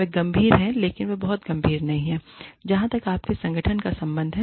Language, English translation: Hindi, They are serious, but they are not very serious, as far as, your organization is concerned